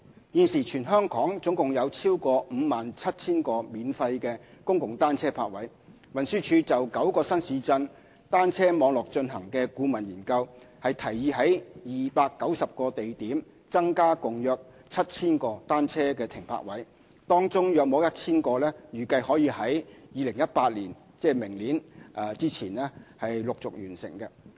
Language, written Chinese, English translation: Cantonese, 現時全港共有超過 57,000 個免費公共單車泊位，運輸署就9個新市鎮單車網絡進行的顧問研究，提議在290個地點增加共約 7,000 個單車停泊位，當中約 1,000 個預計可於2018年前陸續完成。, At present there are more than 57 000 free public bicycle parking spaces across the territory . The consultancy study conducted by TD on the bicycle network in nine new towns has recommended a total of around 7 000 additional bicycle parking spaces at 290 locations amongst which 1 000 are expected to be available in phases by 2018